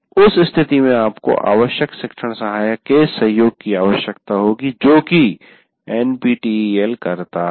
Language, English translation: Hindi, In that case, you have to create a required what do you call teaching assistant support, which NPTEL does